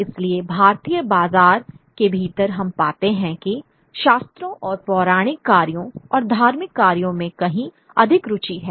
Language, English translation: Hindi, So within the Indian market we find there is a far greater interest in the scriptures and mythological works and religious works